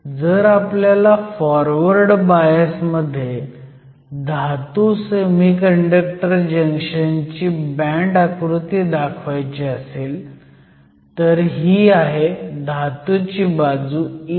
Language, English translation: Marathi, So, if I want to show the band diagram of a Metal Semiconductor junction under forward bias, this is your metal side E f